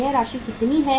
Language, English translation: Hindi, How much is this